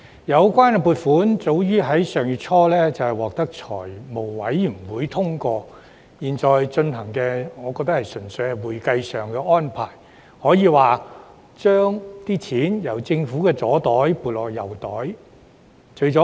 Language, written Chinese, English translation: Cantonese, 有關撥款早於上月初獲財務委員會通過，我覺得現在討論的擬議決議案純屬會計上的安排，可說是把錢由政府的左邊口袋撥入右邊口袋。, The funding was already approved by the Finance Committee FC early last month . I think the proposed resolution we are discussing is a pure accounting arrangement for transferring money from the Governments left pocket to its right pocket